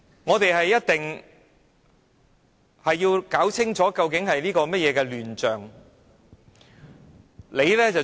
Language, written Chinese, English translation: Cantonese, 我們一定要弄清楚這究竟是甚麼亂象。, We must ascertain what the mess is all about